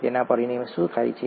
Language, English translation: Gujarati, What happens as a result of that